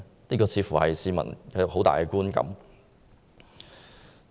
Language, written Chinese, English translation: Cantonese, 這似乎是市民一個很強烈的觀感。, It seems that this is how members of the public strongly feel